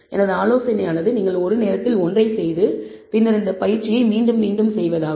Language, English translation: Tamil, My suggestion is you do one at a time and then repeat this exercise for yourself